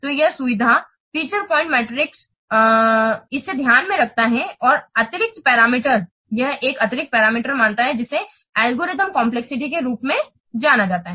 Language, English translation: Hindi, So this feature point metric, it takes in account an extra parameter, it considers an extra parameter that is known as algorithm complexity